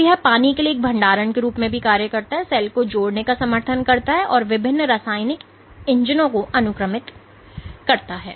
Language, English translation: Hindi, So, it acts as a storage for water it supports cell addition and it is sequestered various chemical engines